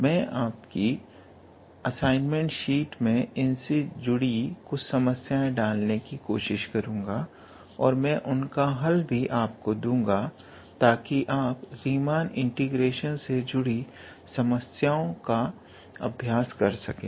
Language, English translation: Hindi, I will also try to include some problems in your assignment sheet, and I will also provide the solution, so that you will get to practice some problems from Riemann integration